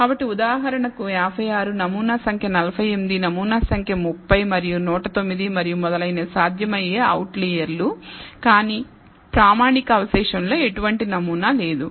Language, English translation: Telugu, So, for example, 56, sample number 48, sample number 30 and 109 and so on so forth may be possible outliers and, but there is no pattern in the standardized residuals